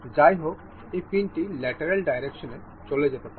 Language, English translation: Bengali, However, this can move in the lateral direction